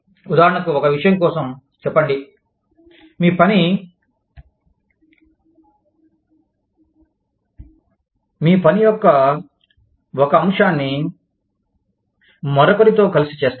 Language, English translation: Telugu, For example, for one thing, say, one aspect of your work, is done together, with somebody